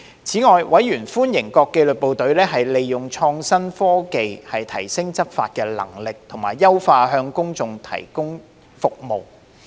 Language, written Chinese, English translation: Cantonese, 此外，委員歡迎各紀律部隊利用創新科技提升執法能力，以及優化向公眾提供的服務。, Moreover members welcomed the application of innovation and technology by the disciplined forces to enhance law enforcement capabilities and improve services for the public